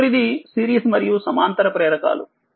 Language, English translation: Telugu, Next is series and parallel inductors right